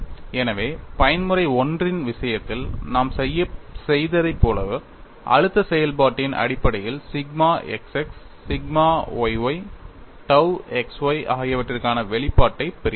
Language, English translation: Tamil, So, based on that as we have done for the case of mode 1, we get the expression for sigma xx sigma yy tau xy